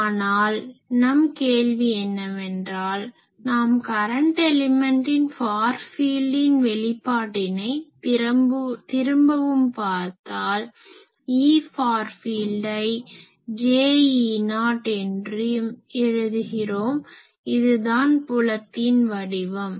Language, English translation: Tamil, But then the question is that also let me see another thing of this that, if we again look at the far field expressions of the current element and, let me write E far field as j some constant let us say E not, this is the shape this is the field